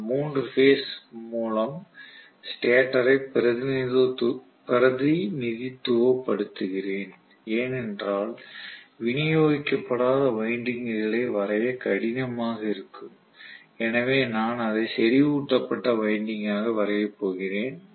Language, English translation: Tamil, Let us say I am representing the stator with 3 phase not distributed winding because it is difficult for me to draw, so I am going to just draw it with concentrated winding